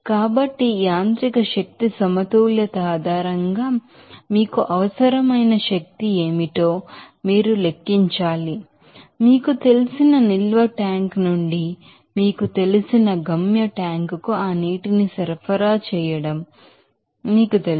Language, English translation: Telugu, So, based on this mechanical energy balance you have to calculate what should be the you know energy required to you know supply that water from that you know storage tank to the you know destination tank here